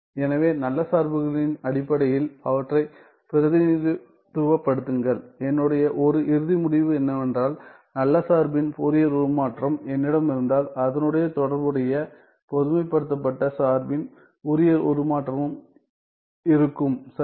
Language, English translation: Tamil, So, represent them in terms of good functions right and if I have there is one final result which tells us that if I have the Fourier transform of the good function, then the corresponding Fourier transform of the generalized function also exists right